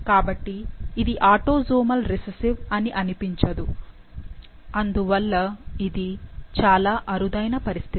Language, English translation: Telugu, So, it doesn't seem that this is a autosomal recessive disorder, it seems that it is autosomal dominant